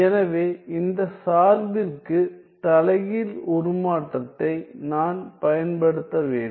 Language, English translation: Tamil, So, then I have to use the inverse transform to this function